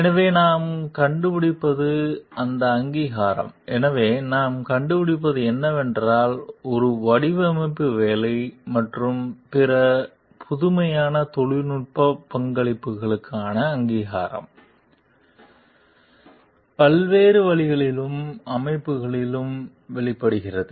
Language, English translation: Tamil, So, what we find is that recognition for a; so, what we find is that, recognition for a design work and other innovative technical contributions, is manifest in a variety of ways and settings